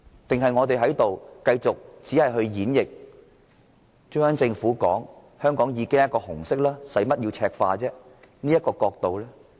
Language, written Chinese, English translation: Cantonese, 抑或應該繼續演繹中央政府指香港"本來就是紅色、何須赤化"的說法？, Or should we be preoccupied with the interpretation of the remarks made by the Central Government ie . there is no question of Mainlandizing Hong Kong as it is already red?